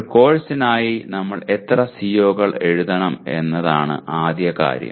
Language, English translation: Malayalam, First thing is how many COs should we write for a course